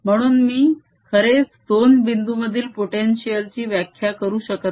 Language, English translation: Marathi, therefore i cannot really define potential between two points